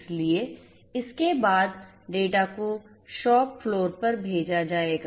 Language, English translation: Hindi, So, there after this data are going to be sent to the shop floor